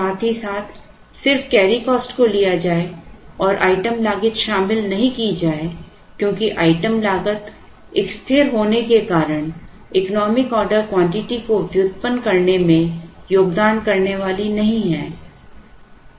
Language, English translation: Hindi, As well as the carrying cost alone and not including the item cost because item cost being a constant is not going to contribute to the derivation of the economic order quantity